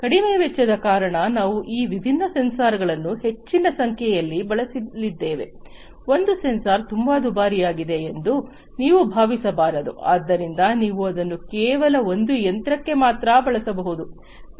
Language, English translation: Kannada, Low cost because we are going to use large number of these different sensors, it should not happen that one sensor is so costly, that only you can use it for one machine